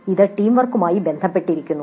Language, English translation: Malayalam, This is also related to teamwork